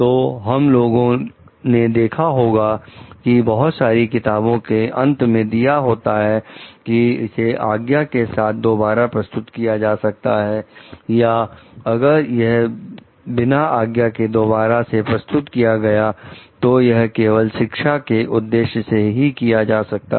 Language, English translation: Hindi, So, what we find in the may be given at the end of the many books like, it can be reproduced with permission, or it can be reproduced in cases without permission also only for the purpose of education